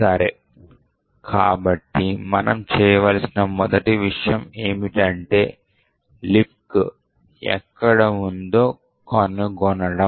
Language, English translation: Telugu, Okay, so the first thing we need to do is find where libc is present